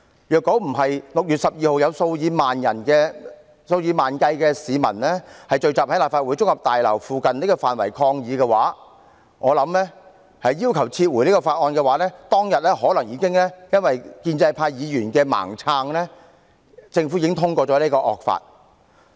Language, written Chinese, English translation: Cantonese, 如果不是在6月12日有數以萬計市民聚集在立法會綜合大樓附近範圍抗議，要求撤回《條例草案》，我想當天可能因為建制派議員的"盲撐"，政府已經通過了此項惡法。, If not for the tens of thousands of people who assembled near the Legislative Council Complex on 12 June to protest and demand the withdrawal of the Bill I believe the draconian law would have been passed under the blind support of pro - establishment Members . Unfortunately Carrie LAW still turned a blind eye to the public opinion and police brutality on that day